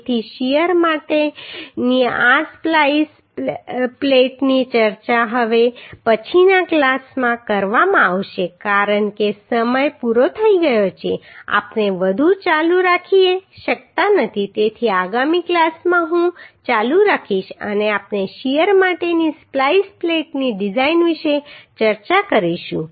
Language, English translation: Gujarati, So this splice plate for shear will be discussed in next class because time is over we cannot continue more so in next class I will continue and we shall discuss about the design of splice plate for shear